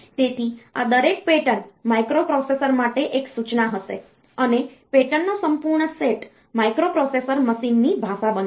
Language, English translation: Gujarati, So, each of these patterns will be an instruction for the microprocessor and the complete set of patterns will make up the microprocessors machine language